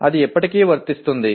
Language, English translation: Telugu, That is still apply